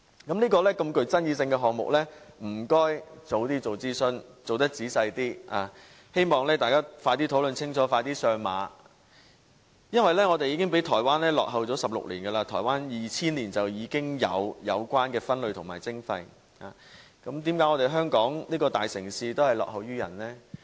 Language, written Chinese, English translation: Cantonese, 這麼具爭議性的項目，請政府早日進行仔細的諮詢，希望大家快點討論清楚，快點上馬，因為我們已經比台灣落後了16年，台灣在2000年已進行有關分類和徵費，為何香港這大城市會落後於人？, The Government should conduct detailed consultations on such a controversial subject as early as possible so as to implement the project sooner after thorough discussion . This is because we are already 16 years behind Taiwan where waste separation and levy has been in place since 2000 . Why is the big city of Hong Kong lagging behind others?